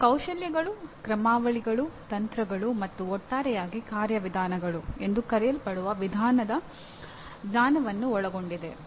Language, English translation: Kannada, It includes the knowledge of skills, algorithms, techniques, and methods collectively known as procedures